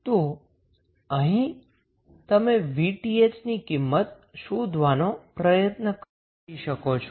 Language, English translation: Gujarati, So, next what we have to do we have to find out the value of Vth